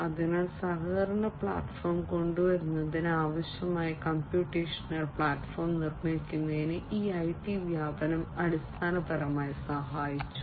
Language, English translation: Malayalam, So, this IT proliferation has basically helped in building the computational platform that will be required for coming up with the collaboration platform